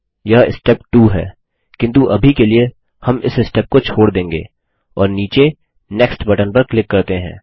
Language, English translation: Hindi, This is Step 2, but we will skip this step for now, and click on the next button at the bottom